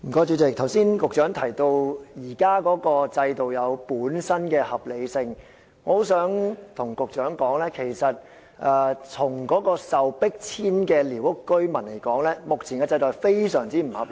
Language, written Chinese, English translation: Cantonese, 主席，局長剛才提到現時的制度有其本身的合理性，但我想告訴局長，對於被迫遷的寮屋居民來說，現時的制度是相當不合理的。, President as stated by the Secretary just now the existing system is underpinned by justifications . But I wish to tell the Secretary that to those squatters forced to move out the existing system is far from reasonable